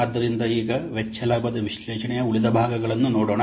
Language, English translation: Kannada, So, now let's see the remaining parts of cost benefit analysis